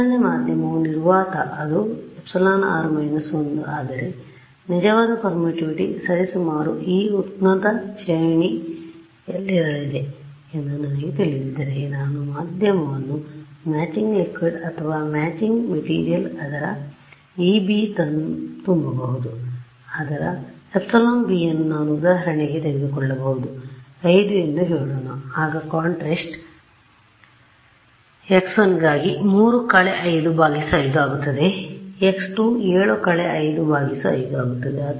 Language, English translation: Kannada, So, a background medium was vacuum it is epsilon r minus 1, but if I know that the true permittivity is roughly going to be in this high range then what I can do is, I can fill the medium with some kind of what is called matching liquid or matching material whose epsilon b is let us say I can take for example, something like 5 let us say